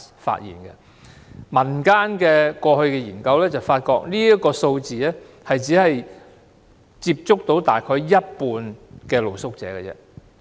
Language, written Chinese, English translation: Cantonese, 根據民間過去的研究，認為這個數字只是當局接觸到大約一半露宿者。, According to surveys conducted previously by community organizations this figure can only represent about half the population of street sleepers contacted by the authorities